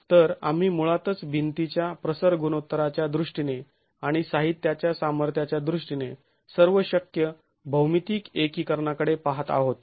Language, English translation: Marathi, So, we are basically looking at all possible geometrical combinations in terms of the aspect ratio of the wall and in terms of the material strengths